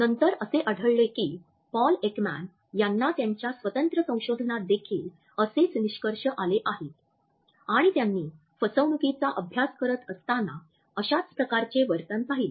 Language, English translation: Marathi, Later on we find that Paul Ekman in his independent research also came to similar findings and observed similar behaviors while he was studying deception